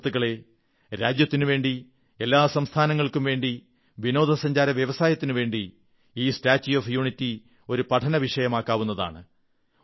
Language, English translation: Malayalam, Friends, for our nation and the constituent states, as well as for the tourism industry, this 'Statue of Unity' can be a subject of research